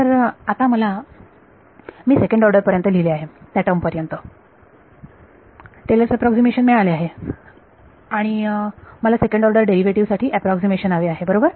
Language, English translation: Marathi, So, now I have got Taylor's approximation up to I have written at up to the second order what is and I want an approximation for what the second order derivative right